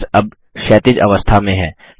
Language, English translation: Hindi, The text is now horizontal